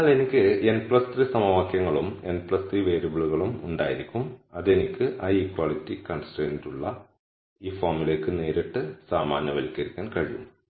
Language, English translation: Malayalam, So, I will have n plus 3 equations and plus 3 variables which can be directly generalized to this form where I have l equality constraints